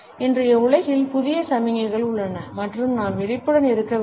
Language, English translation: Tamil, In today’s world and that there are new signals that, we have to be conscious of